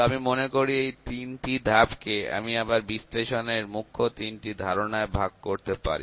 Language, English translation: Bengali, So, I think I can even divide these three steps into the three major concepts of analytics